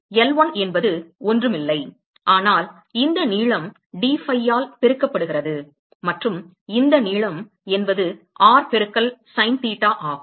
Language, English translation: Tamil, So, L1 is nothing, but this length multiplied by dphi and this length is r into sin theta